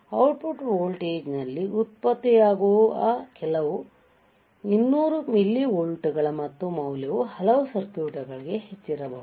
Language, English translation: Kannada, Some 200 millivolts right that is generated at the output voltage and the value may be too high for many circuits right